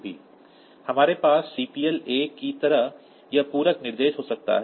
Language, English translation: Hindi, Then we can have this compliment instruction like CPL a